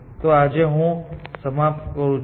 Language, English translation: Gujarati, So, I will stop here for today